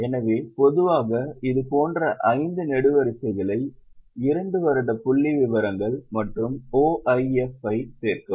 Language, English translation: Tamil, So, normally make five columns like this particular than two years figures change and OIF